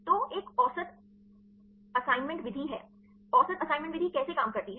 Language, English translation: Hindi, So, the one is the average assignment method right; how the average assignment method works